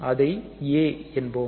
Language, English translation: Tamil, Let us say A